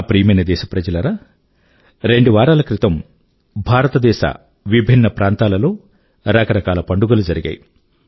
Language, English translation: Telugu, My dear countrymen, a couple of weeks ago, different parts of India were celebrating a variety of festivals